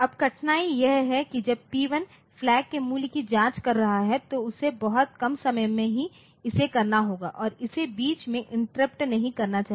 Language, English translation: Hindi, Now, the difficulty is that when P1 is checking the value of flag so, is so, it has to do it at a very in a within a very short amount of time and it should not be interrupted in between